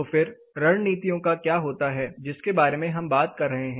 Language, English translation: Hindi, So, then what happens to the set of strategies which we are talking about